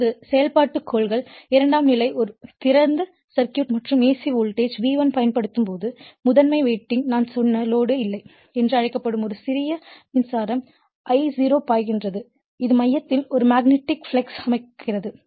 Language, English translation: Tamil, Now, principles of a principle of operation, when the secondary is an open circuit and an alternating voltage V1 is applied I told you to the primary winding, a small current called no load that is I0 flows right, which sets up a magnetic flux in the core